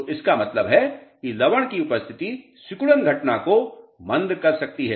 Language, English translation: Hindi, So, that means, presence of salts may retard shrinkage phenomena